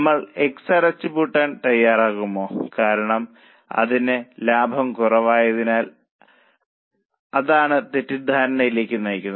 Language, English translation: Malayalam, Shall we go for closure of X because it has a lesser profit